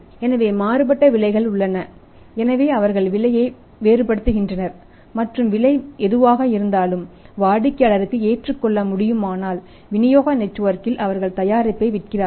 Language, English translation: Tamil, So, varying prices are there, so they vary the prices and whichever the price is acceptable to the customer on maybe the distribution Network at that they sell the product